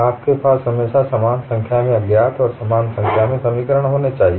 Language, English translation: Hindi, You should always have equal number of unknowns and equal number of equations